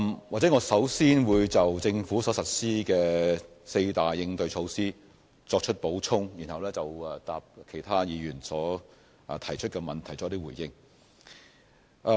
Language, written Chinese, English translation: Cantonese, 我會先就政府所實施的四大應對措施作出補充，然後就其他議員提出的問題作出回應。, I will first provide supplementary information on the four - pronged measures implemented by the Government to address the problem before responding to the questions raised by Members